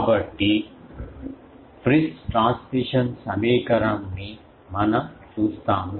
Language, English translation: Telugu, So, this equation is called Friis transmission equation